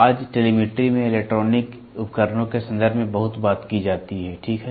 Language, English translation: Hindi, Today telemetry is talked about very much in terms of electronic devices, ok